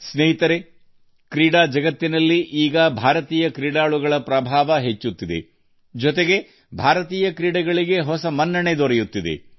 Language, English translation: Kannada, Friends, in the sports world, now, the dominance of Indian players is increasing; at the same time, a new image of Indian sports is also emerging